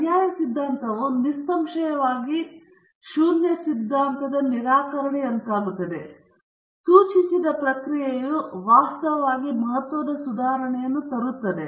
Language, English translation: Kannada, The alternate hypothesis, obviously, would then be the refutation of the null hypothesis the suggested process is in fact bringing a significant improvement